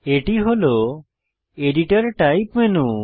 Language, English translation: Bengali, This is the editor type menu